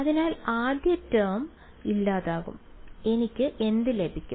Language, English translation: Malayalam, So, the first term goes away second term what will I get